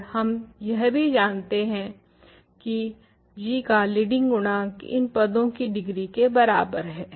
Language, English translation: Hindi, Moreover, we also know that leading coefficient of g is equal to what, what are the degrees of these terms